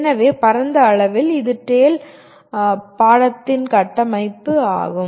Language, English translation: Tamil, So broadly that is the structure of the course TALE